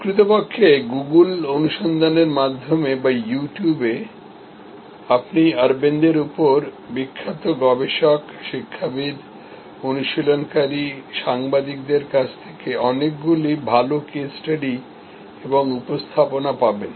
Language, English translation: Bengali, Actually through Google search or on You Tube, you will find many quite good case studies and presentations from famous researchers, academicians, practitioners, journalists on Aravind